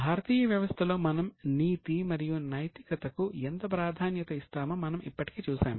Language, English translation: Telugu, We have also already seen how in Indian system we emphasize on ethics and moral